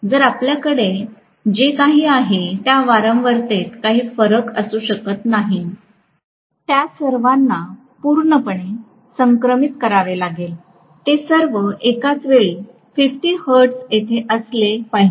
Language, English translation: Marathi, So, we cannot have any variation in the frequency whatsoever, all of them have to be completely synchronised, they all have to be simultaneously at 50 hertz